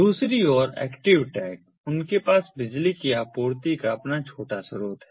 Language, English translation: Hindi, on the other hand, the active tags, they have their own little source of power supply